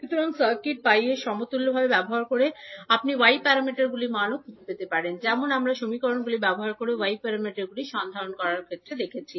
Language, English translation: Bengali, So using the circuit pi equivalent also you can find the value of y parameters as we saw in case of finding out the y parameters using equations